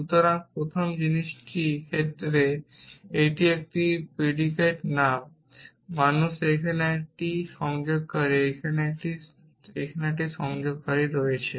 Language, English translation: Bengali, So, the first thing is in the case it is a predicate name man here it is a connective here it is a